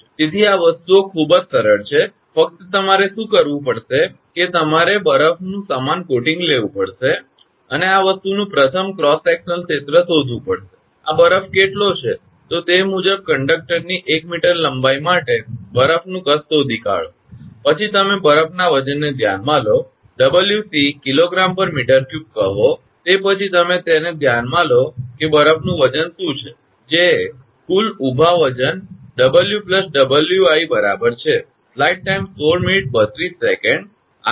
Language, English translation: Gujarati, So, these things are very simple, only what you have to do is you have to take uniform coating of the ice and find out the a first cross sectional area of that this thing, how much this ice, then accordingly find out the volume of the ice for 1 meter length of the conductor, then you consider the weight of the ice; say Wc kg per meter cube, after that you consider it that what is the weight of the ice, which is the total vertical weight W plus Wi right